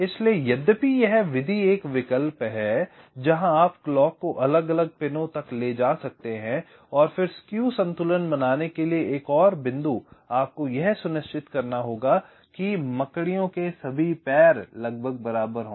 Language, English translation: Hindi, so, although this method is is an alternative where you can layout the clock to different pins and means, and again, another point, to balance skew, you have to ensure that all the legs of the spiders are approximately equal